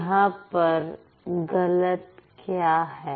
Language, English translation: Hindi, Then what's wrong